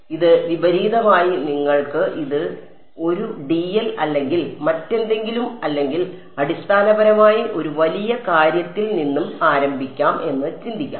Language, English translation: Malayalam, So, it sort of inverse you can think of this is 1 by dl or whatever or basically start from a large thing right